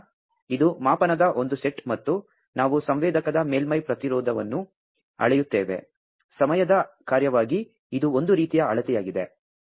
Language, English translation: Kannada, So, that is one set of measurement and we measure the surface resistance of the sensor, as a function of time so this is one type of measurement